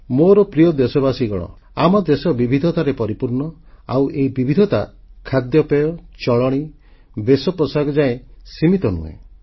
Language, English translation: Odia, My dear countrymen, our country is a land of diversities these diversities are not limited to our cuisine, life style and attire